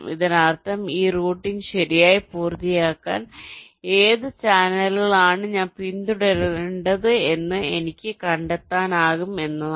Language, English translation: Malayalam, this means i can find out which sequence of channels i need to follow to complete this routing